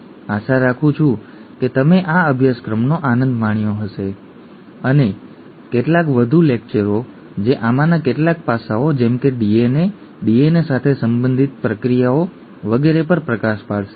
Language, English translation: Gujarati, Hope that you enjoyed this course there will be a few more lectures that come up in terms of, which takes, or which throws light on some of these aspects such as DNA, the processes related to DNA and so on